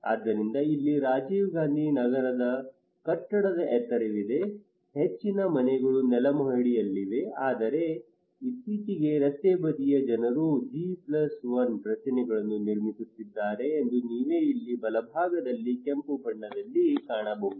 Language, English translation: Kannada, So here is a building height in Rajiv Gandhi Nagar you can see the most of the houses are ground floor only, but recently particularly close to the roadside people are constructing G+1 structure that is you can see in red here in the right hand side